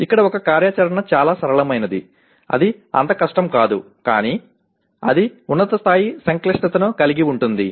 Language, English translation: Telugu, Whereas an activity here may be simple not that very difficult but it has a higher level complexity